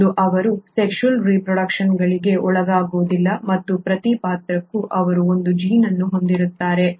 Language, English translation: Kannada, One, they do not undergo sexual reproduction and for every character they have one gene